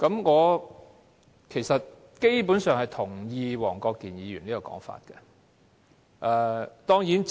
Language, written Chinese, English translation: Cantonese, 我基本上同意黃國健議員有關"拉布"的說法。, Basically I share the views of Mr WONG Kwok - kin on filibustering